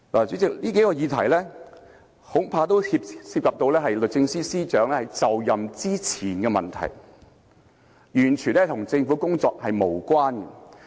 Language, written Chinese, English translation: Cantonese, 主席，以上數個問題恐怕涉及律政司司長在就任之前的問題，完全與政府的工作無關。, President I am afraid these several issues are totally irrelevant to the Governments work as they are related to problems that occurred before the Secretary for Justice took office